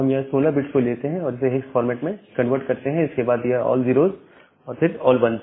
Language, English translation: Hindi, Then we take this 16 bit and convert it to a hex and then all 0’s followed by last ones